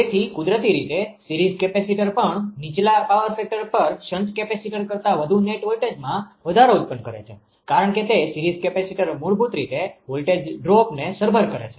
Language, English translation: Gujarati, So, also a series capacitor produces more net voltage rise than a shunt capacitor at lower power factor; naturally because it is a series capacitor is basically compensating the voltage drop